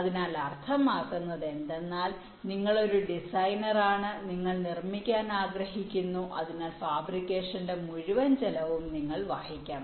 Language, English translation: Malayalam, so means you are a designer, you want to fabricate, so the entire cost of fabrication have to be borne by you